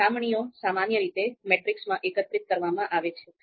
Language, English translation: Gujarati, So comparisons are typically collected in a matrix